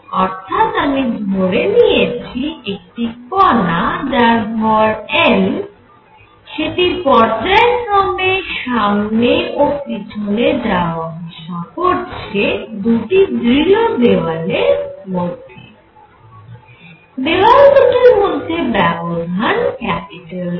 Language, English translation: Bengali, So, problem I am considering is that the particle of mass m that is moving back and forth between two rigid walls, where the distance between them is L